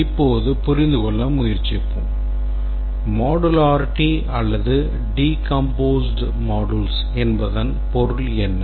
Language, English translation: Tamil, Now let's try to understand what we mean by modularity or a well decomposed set of modules